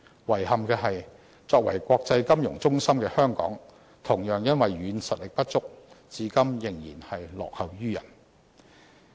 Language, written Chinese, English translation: Cantonese, 遺憾的是，作為國際金融中心的香港，同樣因為"軟實力"不足，至今仍然落後於人。, Though Hong Kong is an international financial hub it regrettably remains a laggard to its counterparts yet again due to insufficient soft power